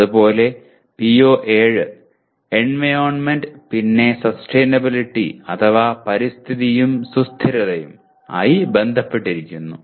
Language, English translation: Malayalam, And similarly PO7 is related to Environment and Sustainability